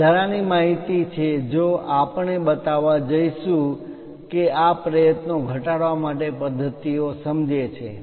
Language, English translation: Gujarati, These are the extra information if we are going to show it understand a practices to minimize these efforts